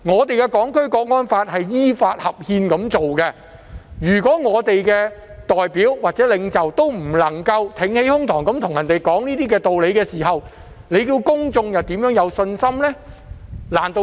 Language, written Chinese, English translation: Cantonese, 《香港國安法》是依法合憲訂立，如果我們的代表或領袖不能挺起胸膛，與別人講道理，公眾怎會有信心呢？, The Hong Kong National Security Law was enacted in accordance with the law and is constitutional . If our representatives or leaders cannot hold their heads up high and reason with others how can the public have confidence in it?